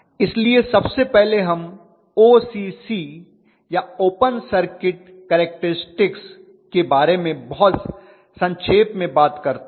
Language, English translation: Hindi, So first of all we talk very briefly about OCC or open circuit characteristics the other day